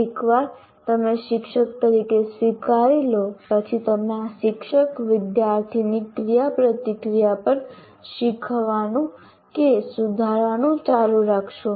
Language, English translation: Gujarati, Once you accept that, as a teacher, we will continue to learn or improve upon this teacher student interaction